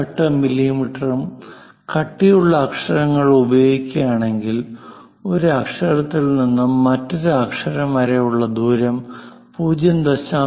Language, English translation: Malayalam, 18 millimeters as the thickness, then the gap between letter to letter supposed to be 0